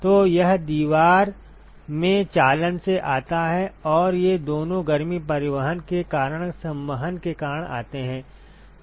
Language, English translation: Hindi, So, that comes from the conduction in the wall and these two comes because of convection given heat transport